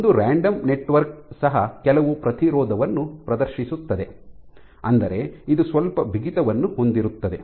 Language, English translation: Kannada, So, even a random network will exhibit some resistance, which means it has some bulk stiffness